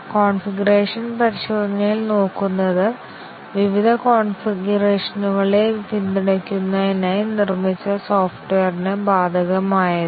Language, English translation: Malayalam, In configuration testing, which is applicable to software, which is built to support various configurations